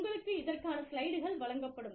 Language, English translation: Tamil, You will be given the slides